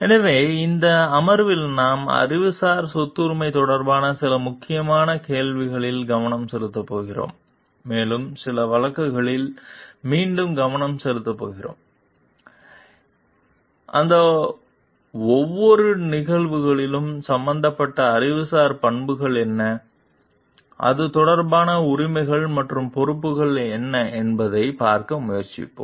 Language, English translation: Tamil, So, in this session we are going to focus on some critical questions with related to intellectual property rights, and we are going to again focus on some cases and we will try to see in each of those cases, what are the intellectual properties involved and what are the rights and responsibilities with regard to it